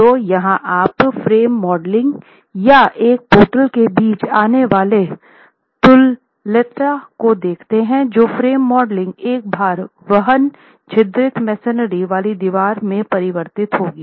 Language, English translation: Hindi, So, it's, you see the equivalence coming between what the frame modeling or portal frame modeling would be versus a load bearing perforated masonry wall being converted into an equivalent frame